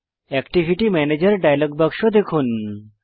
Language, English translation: Bengali, View the Activity Manager dialog box